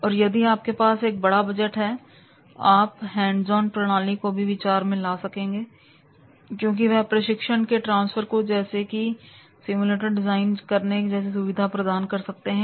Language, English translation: Hindi, If you have a large budget, you might want to consider hands on methods that facilitate transfer of training such as the simulators can be also designed